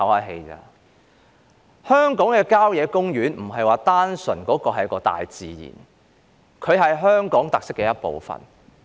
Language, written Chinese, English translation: Cantonese, 香港的郊野公園並非單純是大自然，而是香港特色的一部分。, Country parks are more than nature to Hong Kong but are one of Hong Kongs characteristics